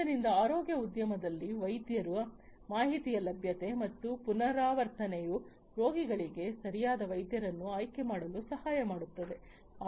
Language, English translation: Kannada, So, in the health care industry availability of the information and repetition of doctors helps the patients to choose the right doctor